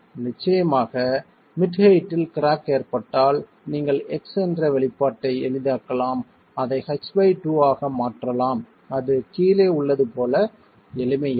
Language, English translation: Tamil, Of course, if the crack were to occur at mid height, you can simplify their expression, X can be replaced as H by 2, and that will simplify as 4 times F